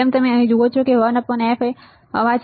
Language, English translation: Gujarati, As you see here 1 by f noise